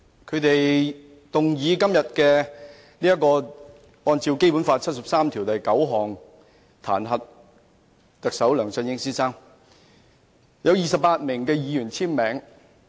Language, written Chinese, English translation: Cantonese, 他們動議根據《基本法》第七十三條第九項彈劾特首梁振英先生，有28名議員簽署。, The motion is jointly initiated by 28 Members who call for the impeachment of Chief Executive LEUNG Chun - ying under Article 739 of the Basic Law